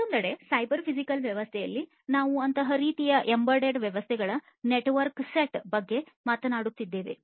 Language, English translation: Kannada, On the other hand in a cyber physical system, we are talking about a network set of such kind of embedded systems